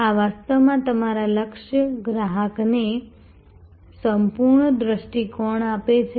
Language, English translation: Gujarati, This is actually giving a whole view to your target customer